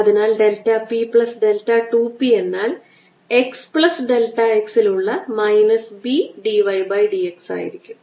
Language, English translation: Malayalam, so delta p plus delta two p going to be minus b d y by d xat x plus delta x and this is going to be minus d y by d x at x minus b d two y over d x square